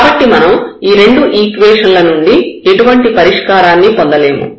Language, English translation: Telugu, And the critical points we can now get by solving these 2 equations